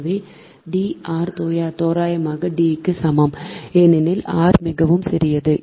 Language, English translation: Tamil, so d minus r is equal to approximately equal to d, because r is too small right